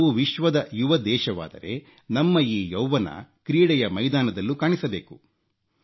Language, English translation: Kannada, If we are a young nation, our youth should get manifested in the field sports as well